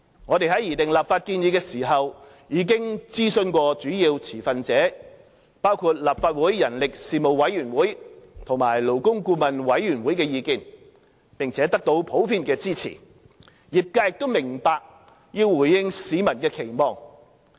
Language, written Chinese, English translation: Cantonese, 我們在擬訂立法建議時已徵詢主要持份者包括立法會人力事務委員會和勞工顧問委員會的意見，並得到普遍支持，業界亦明白要回應市民的期望。, In drawing up the legislative proposals we have taken into account views of key stakeholders including the Legislative Council Panel on Manpower and the Labour Advisory Board . While the proposals received general support the sector also acknowledged the need to meet the communitys expectation